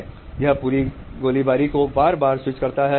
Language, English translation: Hindi, That switches the whole firing again and again